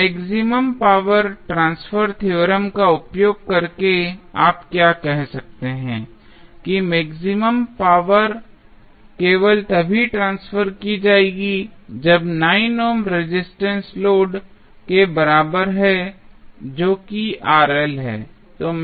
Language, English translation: Hindi, Now, using maximum power transfer theorem, what you can say that the maximum power will be transferred only when the 9 ohm resistance is equal to the load that is Rl